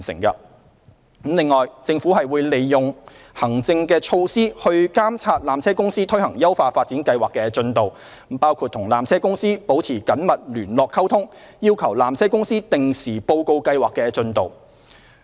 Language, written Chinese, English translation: Cantonese, 此外，政府會利用行政措施來監察纜車公司推行優化發展計劃的進度，包括與纜車公司保持緊密聯絡溝通，要求纜車公司定時報告計劃的進度。, In addition the Government will monitor the progress of PTCs implementation of the upgrading plan through administrative measures including maintaining close communications with PTC and requesting it to provide progress reports at regular intervals